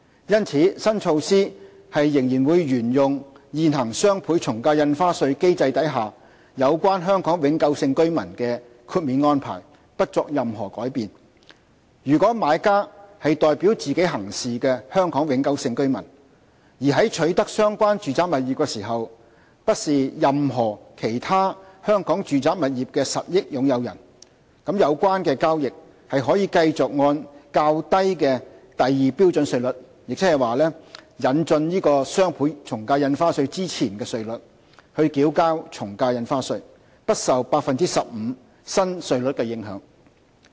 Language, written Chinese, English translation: Cantonese, 因此，新措施仍沿用現行雙倍從價印花稅機制下有關香港永久性居民的豁免安排，不作任何改變：如果買家是代表自己行事的香港永久性居民，而在取得相關住宅物業時不是任何其他香港住宅物業的實益擁有人，有關交易可繼續按較低的第2標準稅率，亦即引進雙倍從價印花稅前的稅率繳交從價印花稅，不受 15% 新稅率的影響。, Hence the new measure will continue to adopt the exemption and refund arrangements for Hong Kong permanent residents provided for under the existing DSD regime without any change For residential property transactions where the buyer is a Hong Kong permanent resident acting on hisher own behalf and is not a beneficial owner of any other residential property in Hong Kong at the time of acquisition the lower rates at Scale 2 ie . the rates prior to the introduction of the DSD rates will continue to be applicable to such transactions without being affected by the new rate of 15 %